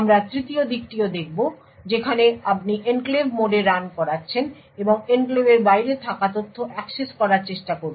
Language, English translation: Bengali, We will also look at third aspect where you are running in the enclave mode and trying to access data which is outside the enclave